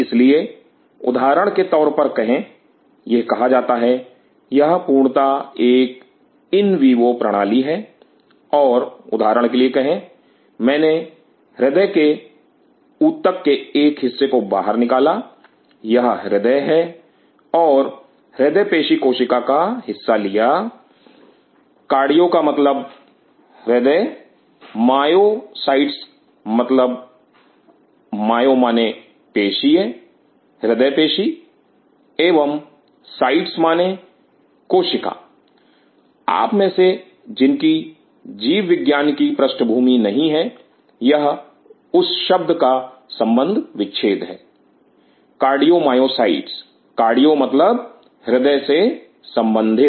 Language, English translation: Hindi, So, say for example, this is said this is an intact in vivo system and say for example, I took a part of the cardiac tissue outside, this is heart and took part of Cardiomyocyte; cardio means heart myocytes mean myo means muscle cardiac muscle and cytes means cell those of you who do not have the wide range of biology background, this is the breakup of that word Cardiomyocyte cardio means taken from the heart